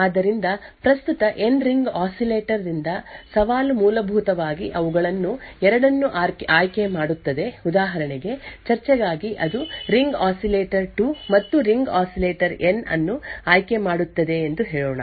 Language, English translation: Kannada, So out of the N ring oscillator present, the challenge would essentially pick 2 of them for example, let us say for discussion it picks say the ring oscillator 2 and ring oscillator N